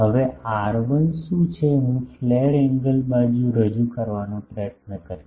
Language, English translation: Gujarati, Now, what is R1 I will try to introduce the flare angle side